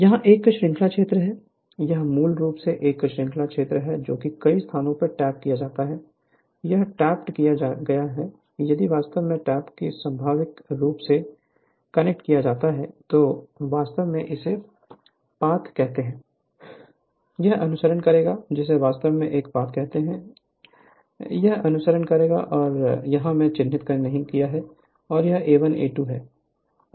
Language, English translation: Hindi, This is a series field, this is basically a series field many places tapped here, it is tapped if you connect this tap naturally, your what you call this is this is the path, it will follow that your, what you call this your your what you call this is the path, this is the path, it will follow right and if you I have not marked here, it is A 1 A 2 right and this is plus minus right